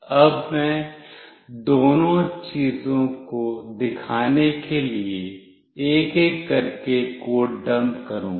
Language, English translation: Hindi, Now, I will be dumping the code one by one to show both the things